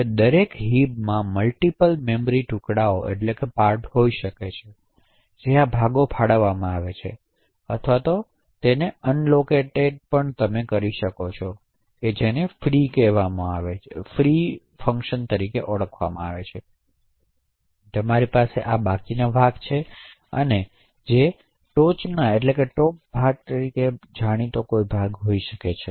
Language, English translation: Gujarati, Now each heap can have multiple memory chunks, so these chunks could be allocated or unallocated which is also known as of free chunk and you could also have something known as a top chunk for a last remainder chunk